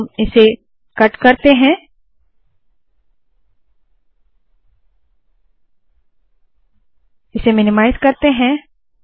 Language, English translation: Hindi, We will cut this, copy, let me minimize this